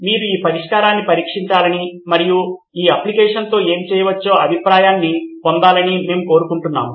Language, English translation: Telugu, We would like you to test the solution and get a feedback what can be done with this application